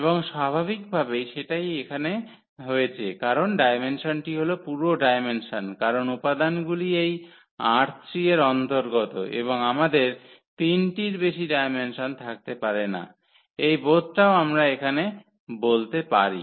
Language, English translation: Bengali, And naturally, that is the case here because the dimension that is the full dimension because the elements belongs to this R 3 and we cannot have the dimension more than 3 in that sense also we can conclude here